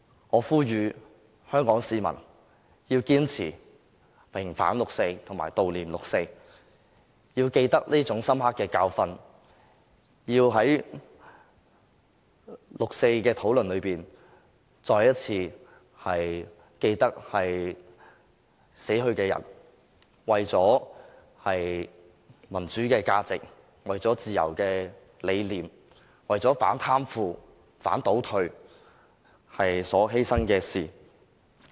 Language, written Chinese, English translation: Cantonese, 我呼籲香港市民要堅持平反六四及悼念六四，要記得這深刻的教訓，要在六四的討論中，再次緊記死去的人為了民主價值，為了自由的理念，為了反貪腐、反倒退而所作出的犧牲。, I call upon Hong Kong people to persist in their demand for vindication of the 4 June incident and commemoration of it . People should remember the 4 June incident as a profound lesson and constantly remind themselves through related discussions on the sacrifices made by the deceased for the value of democracy for the conviction of freedom and also for their rejection of corruption and regression